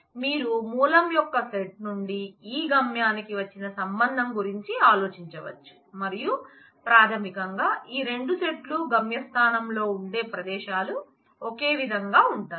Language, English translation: Telugu, So, you can think about a relationship flies from the set of source to this set of destination, and basically this; these 2 sets the places source places in the destination place are necessarily the same set the same relation